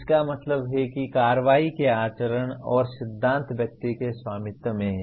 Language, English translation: Hindi, It means the conduct and principles of action are owned by the individual